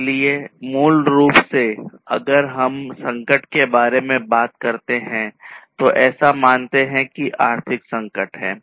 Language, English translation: Hindi, So, basically if we talk about crisis so, let us say that this is the economic crisis